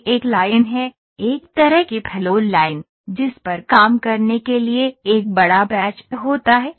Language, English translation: Hindi, So, this is one line this is something I have put a flow line that has a kind of a big batch to work on